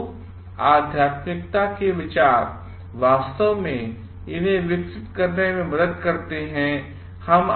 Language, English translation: Hindi, So, the ideas of spirituality actually helps to develop these things